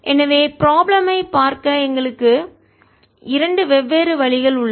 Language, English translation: Tamil, so we have two different ways of looking at the problem